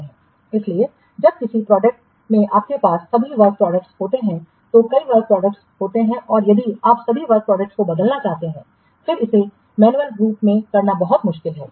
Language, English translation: Hindi, So, when all the work products you have to in a project there are several work products and if you want to change you want to change all the work products then it is very much difficult to do it manually